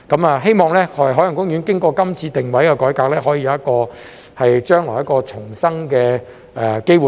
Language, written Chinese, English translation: Cantonese, 我希望海洋公園經過今次的定位改革，將來可以有一個重生的機會。, I hope that after this repositioning OP will have a chance of revival in the future